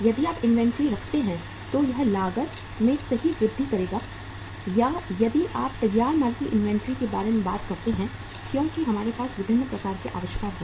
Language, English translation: Hindi, If you keep inventory it will increase the cost right or if you talk about the inventory of finished goods because we have the different kind of inventories